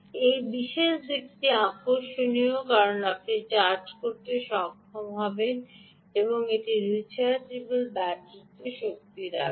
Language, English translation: Bengali, this particular aspect is interesting because you will be able to charge, put energy into a rechargeable battery